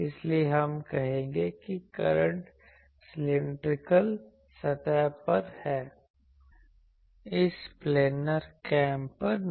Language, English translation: Hindi, So, we will say that only the current is on the cylindrical surface not on this planar caps that is why these assumptions